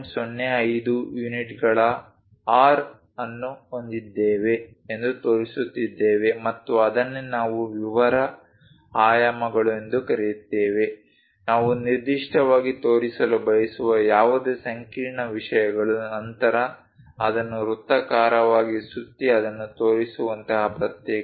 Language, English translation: Kannada, 05 units and that is what we call detail dimensions, any intricate things which we would like to specifically show, then a separate thing like rounding it off into circle and show it